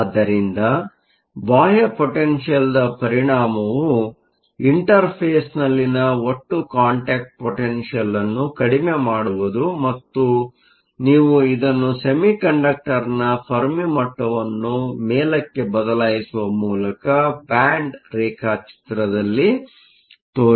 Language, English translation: Kannada, So, the effect of the external potential is to reduce the total contact potential at the interface and you can show this in the band diagram by shifting the Fermi level of the semiconductor up